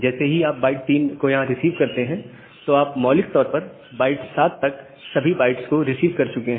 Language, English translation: Hindi, So, the moment you have received byte 3 here, you have basically received all the bytes up to byte 7